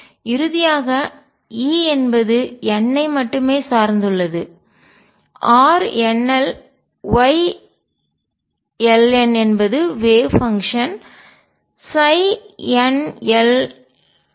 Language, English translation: Tamil, And finally, E depends only on n R nl Y ln is the wave function psi n l n